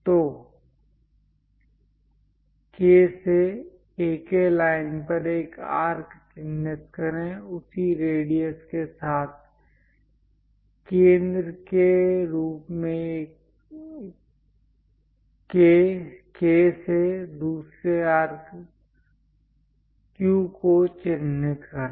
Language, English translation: Hindi, So, from K; mark an arc on AK line; with the same radius, from K as centre; mark another arc Q